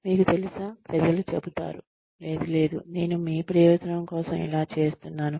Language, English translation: Telugu, And you know, people will say, no no, I am doing this for your benefit